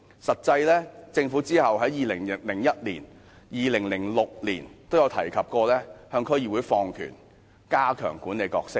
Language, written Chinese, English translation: Cantonese, 實際上，政府其後在2001年和2006年均提及向區議會放權，加強其管理角色。, In fact the Government mentioned subsequently in 2001 and 2006 that powers would be devolved to DCs to strengthen its role in management